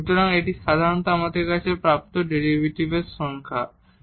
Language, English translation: Bengali, So, that is the definition of the derivative usually we have